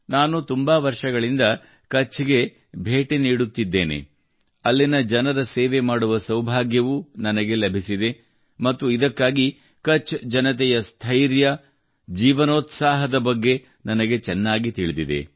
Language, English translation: Kannada, I have been going to Kutch for many years… I have also had the good fortune to serve the people there… and thats how I know very well the zest and fortitude of the people of Kutch